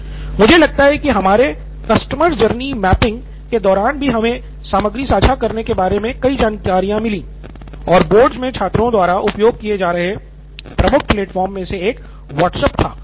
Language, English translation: Hindi, I think even during our customer journey mapping we’ve got several insights regarding sharing, and one of the key platforms students were using across the board was WhatsApp